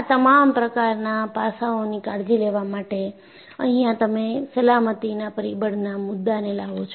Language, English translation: Gujarati, So, to take care of all these aspects, you bring in a concept of factor of safety